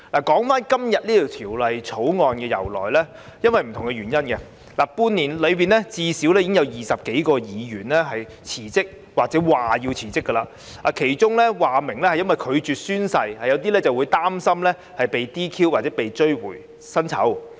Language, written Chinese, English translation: Cantonese, 關於今天這項《條例草案》的由來，這半年來，最少有20多位區議員因不同理由而辭職或表示將會辭職，當中有些議員表明是因為拒絕宣誓，有些則擔心被 "DQ" 或被追回薪酬。, Regarding the background leading to the introduction of the Bill today over the past six months at least 20 DC members have resigned or indicated their wish to resign for various reasons . While some of them indicated that they resigned because of their refusal to take the oath some expressed their concern about being DQ disqualified or the need to return their remuneration